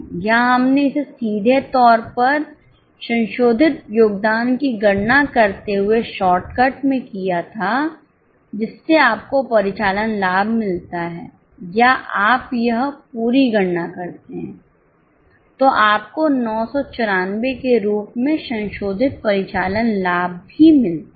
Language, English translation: Hindi, Here we had done it as a shortcut, directly computing the revised contribution you get operating profit or do this full calculation then also you get the revised operating profit as 994